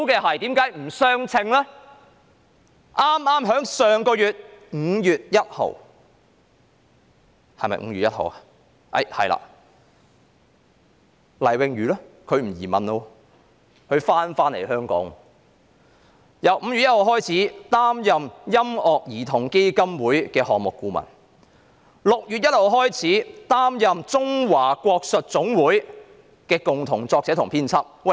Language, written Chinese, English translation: Cantonese, 我認為最離譜的是待遇上有不相稱的地方是，黎穎瑜其後放棄移民回港，並由5月1日起擔任音樂兒童基金會的項目顧問 ；6 月1日起將擔任中華國術總會的共同作者和編輯。, I think that the most outrageous of all is the disproportionate treatment . Jade LAI subsequently gave up emigration and returned to Hong Kong . She started to work as a project consultant for the Music Children Foundation from 1 May and then from 1 June onwards she will serve as co - author and editor for the International Guoshu Association